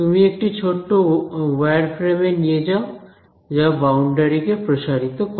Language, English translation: Bengali, You take a small little wireframe that straddles the boundary